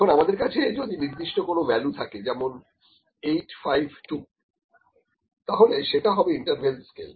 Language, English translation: Bengali, Now if I have the specific value for that, for instance, 8, 5, 2 was the value, this is an interval scale